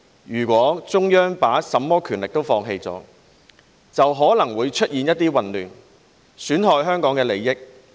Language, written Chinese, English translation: Cantonese, 如果中央把甚麼權力都放棄了，就可能會出現一些混亂，損害香港的利益。, If the Central Government were to abandon all its power there might be turmoil that would damage Hong Kongs interests